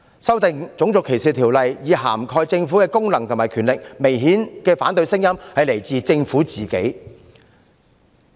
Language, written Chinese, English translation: Cantonese, 修訂《種族歧視條例》以涵蓋政府的功能和權力，反對聲音明顯來自政府自己。, Voices opposing amendment to RDO to cover acts of the Government in the performance of its functions or the exercise of its powers have obviously come from the Government itself